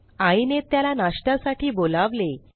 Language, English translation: Marathi, Ramus mother calls him for breakfast